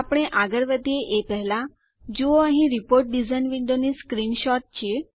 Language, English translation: Gujarati, Before we move on, here is a screenshot of the Report design window